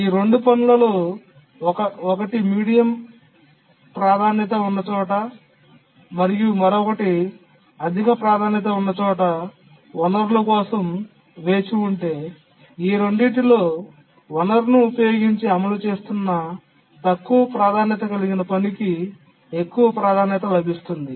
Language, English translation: Telugu, If there are two tasks which are waiting, one is medium priority, one is high priority for the resource, then the lowest, the low priority task that is executing using the resource gets the priority of the highest of these two, so which is it